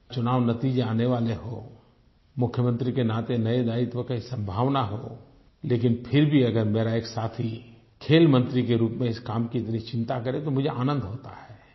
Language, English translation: Hindi, With election results being due, with the distinct possibility of a new responsibility as a Chief Minister, and yet if one of my colleagues, in the capacity of a Sports Minister, displays such concern for his work, then it gives me great joy